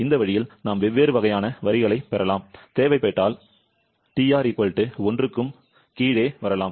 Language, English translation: Tamil, 2, this is for TR = 1, this way we can get different kind of lines and we can come below TR =1 as well if required